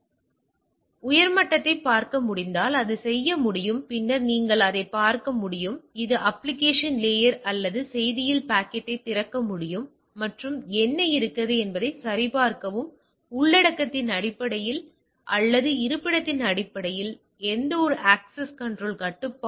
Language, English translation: Tamil, It can do if it is if the proxy is able to look at up to the content at a higher level then you can it look at the it can open up the packet at the application layer or the message itself and check that what whether there is a any access control restriction based on content or based on the location